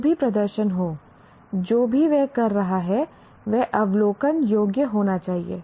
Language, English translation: Hindi, Whatever that performance, whatever that is doing should be observable